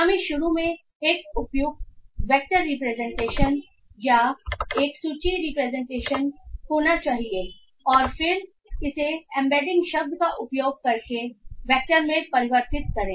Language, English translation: Hindi, Once we have it we need to have a suitable vector representation or a list representation initially and then convert it into a vector using the word embedding